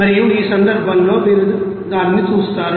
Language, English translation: Telugu, And in this case, you will see that